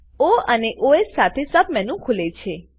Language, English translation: Gujarati, A Sub menu with O and Os opens